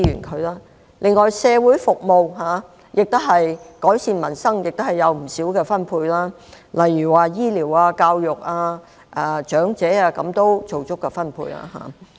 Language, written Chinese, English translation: Cantonese, 此外，在社會服務上，為改善民生，預算案亦提供了不少資源，令醫療、教育、長者等獲得足夠的分配。, Concerning social services in order to improve peoples livelihood the Budget proposes to allocate large quantities of resources in respect of health care education and elderly services